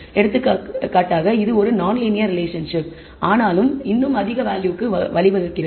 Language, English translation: Tamil, For example, this is a non linear relationship and still gives rise to a high value